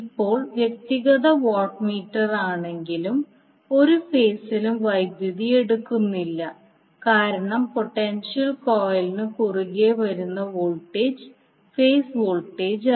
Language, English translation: Malayalam, Now, although the individual watt meters no longer read power taken by any particular phase because these are the voltage which is coming across the potential coil is not the per phase voltage